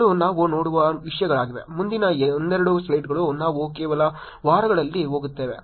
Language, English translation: Kannada, These are the things we look at, next of couple of slides, we'll just go through in only weeks